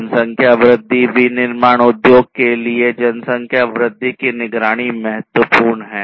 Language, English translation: Hindi, So, population growth: monitoring population growth is important for manufacturing industry